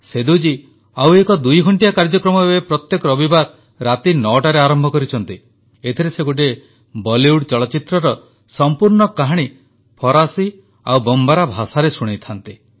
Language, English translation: Odia, Seduji has started another twohour program now at 9 pm every Sunday, in which he narrates the story of an entire Bollywood film in French and Bombara